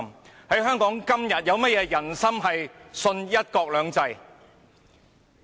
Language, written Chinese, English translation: Cantonese, 然而，在香港，今天有何"人心"相信"一國兩制"？, However in todays Hong Kong who will still believe the promise of one country two systems?